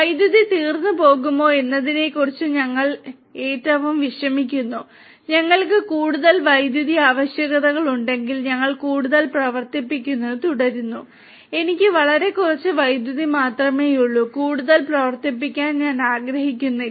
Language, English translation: Malayalam, We are least bothered about whether the electricity is going to get over, if we have more requirements of electricity we keep on running more we do not bothered that I have very little amount of electricity and I do not you know I do not want to run more